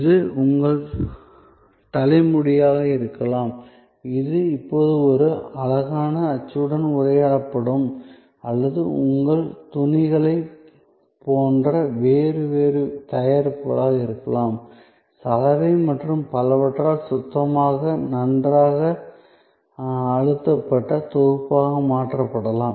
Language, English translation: Tamil, So, that could be your hair, which will be now addressed in a prettier mold or it could be different other products like your cloths maybe converted into clean nicely pressed set by the laundry and so on